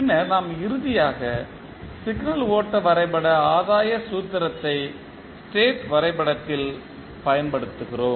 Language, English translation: Tamil, And then we finally apply the signal flow graph gain formula to the state diagram